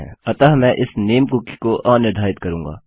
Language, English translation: Hindi, So Ill unset this name cookie